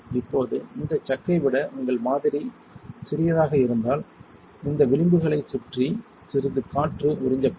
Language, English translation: Tamil, Now, if your smaller sample than this chuck that means some air will be sucked in around these edges